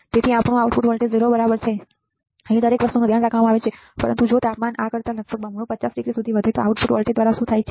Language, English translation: Gujarati, So, our output voltage is 0 right everything is taken care of, but what happens through the output voltage if the temperature rises to 50 degree almost double to this right